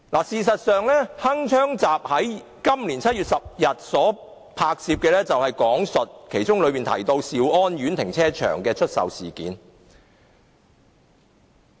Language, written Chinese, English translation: Cantonese, 事實上，"鏗鏘集"於今年7月10日拍攝的節目中提到兆安苑停車場的出售事件。, In fact in the episode of Hong Kong Connection filmed on 10 July this year the sale of the car park in Siu On Court was mentioned